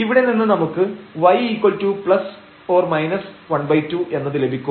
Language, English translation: Malayalam, So, we will get 2 y and we will get here 12 x square